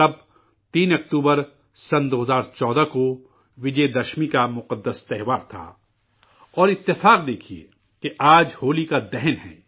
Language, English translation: Urdu, Then, on the 3rd of October, 2014, it was the pious occasion of Vijayadashmi; look at the coincidence today it is Holika Dahan